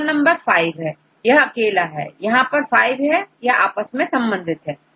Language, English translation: Hindi, So, V is here and this is and this 5 are connected with each other